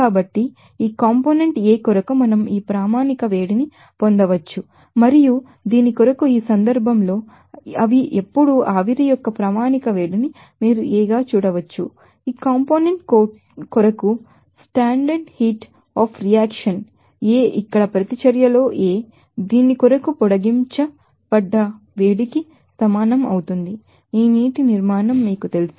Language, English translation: Telugu, So, we can get this standard heat up reaction for this component A and also for this you can see that standard heat of vaporization they are now in this case standard heat up reaction for this component A here in reaction A that will be equal to extended heat of reaction for this you know this water formation